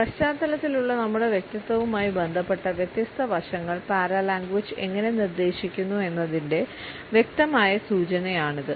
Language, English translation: Malayalam, This is a clear indication of how paralanguage suggest different aspects related with our personality in background